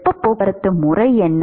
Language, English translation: Tamil, what is the mode of heat transport